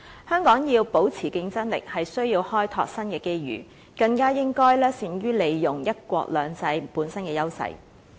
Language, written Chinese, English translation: Cantonese, 香港要保持競爭力，需要開拓新的機遇，更應該善於利用"一國兩制"本身的優勢。, To maintain its competitiveness Hong Kong has to explore new opportunities particularly through capitalizing on the advantages of the one country two systems